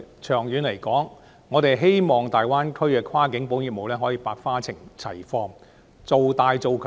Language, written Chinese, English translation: Cantonese, 長遠而言，我希望大灣區的跨境保險業務可以百花齊放、做大做強。, In the long run I hope to see the diversification expansion and enhancement of cross - boundary insurance business in the Greater Bay Area